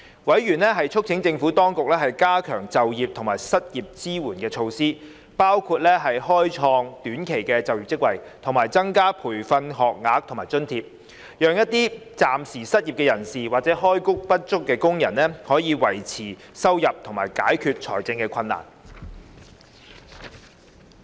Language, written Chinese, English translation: Cantonese, 委員促請政府當局加強就業及失業支援措施，包括開創短期就業職位，以及增加培訓學額及津貼，讓一些暫時失業人士或開工不足工人，可以維持收入及解決財政困難。, Members urged the Administration to enhance employment and unemployment support measures which included creating short - term employment positions and increasing training places and allowance so that some of the temporary unemployed or underemployed can secure their income and tide over the financial difficulties